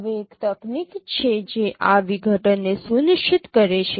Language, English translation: Gujarati, Now there is a technique which ensures this decomposition